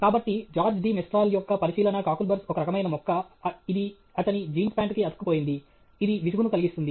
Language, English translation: Telugu, So, George de Mestral's observation of how cockleburs a kind of plant it got attached to his jeans pant; it was a constant nuisance